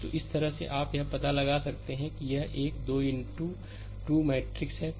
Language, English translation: Hindi, So, this way you can find out so, this is a 3 into 3 matrix